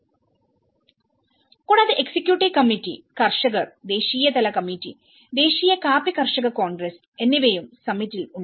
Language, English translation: Malayalam, And there is also the executive committee, the growers, national level committee and the national coffee growers congress on the summit